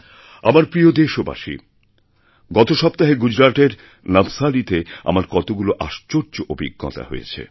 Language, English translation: Bengali, My dear countrymen, last week I had many wonderful experiences in Navsari, Gujarat